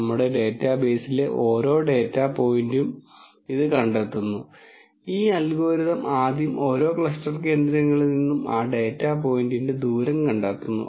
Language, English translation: Malayalam, It finds for every data point in our database, this algorithm first finds out the distance of that data point from each one of this cluster centres